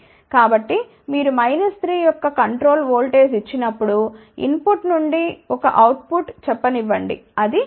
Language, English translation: Telugu, So, when you give control voltage of minus 3 volt, then from input to let us say a output it will be attenuated by 3